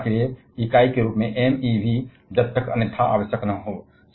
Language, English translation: Hindi, And MeV as the unit for energy, unless otherwise required